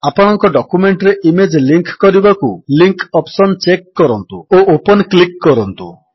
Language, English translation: Odia, To link the image to your document, check the Linkoption and click Open